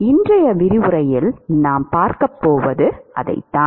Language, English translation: Tamil, That is what we are going to see in most of today’s lecture